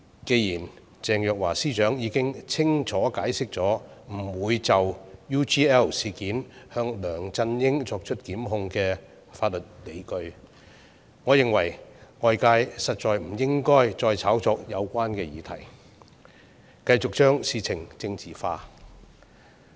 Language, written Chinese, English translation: Cantonese, 既然鄭若驊司長已經清楚解釋不就 UGL 事件向梁振英檢控的法律理據，我認為外界實在不應該再炒作有關議題，繼續將事情政治化。, Since Secretary Teresa CHENG has clearly explained the legal justification for not prosecuting Mr LEUNG Chun - ying over the UGL incident I hold that outsiders should no longer hype up the issue and politicize the matter